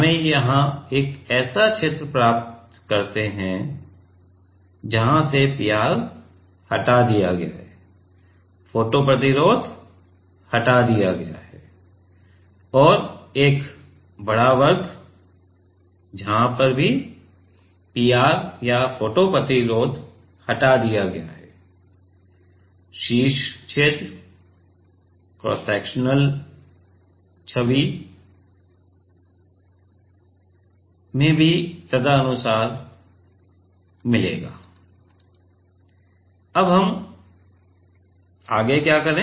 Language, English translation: Hindi, We get here one region, from where the PR has been removed, the photo resist has been removed and a bigger square also where the PR or the photo resist has been removed, the top region and also in the cross sectional image also will get accordingly